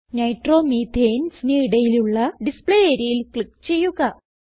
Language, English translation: Malayalam, Click on the Display area in between Nitromethanes